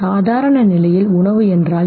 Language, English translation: Tamil, What is food in the normal condition